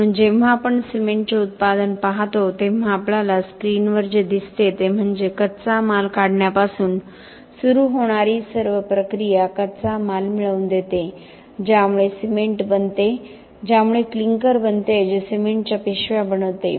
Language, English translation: Marathi, So when we look at the cement production this what you see on the screen is the is all the processes starting from the raw material extraction getting the raw materials which will make the cement which will make the clinker which will make the bags of cement that we see upto the packing and then delivery of the cement